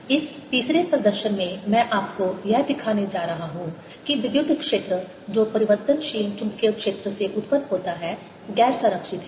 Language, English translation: Hindi, in this third demonstration i am going to show you that the electric field that is produced by changing magnetic field is non conservative